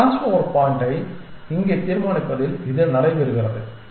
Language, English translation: Tamil, It take place is in deciding this crossover point here where do we do a crossover